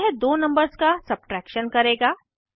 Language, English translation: Hindi, This will perform subtraction of two numbers